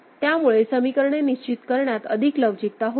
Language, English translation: Marathi, So, we had greater flexibility in deciding the equations